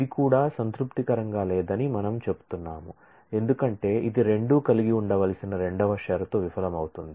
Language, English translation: Telugu, We say this also does not satisfy, because it fails the second condition both have to hold